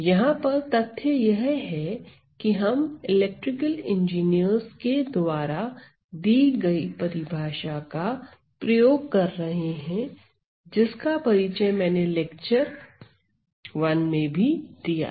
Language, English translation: Hindi, So, the fact is that, we are using the definition used by the electrical engineers that was introduced in my lecture 1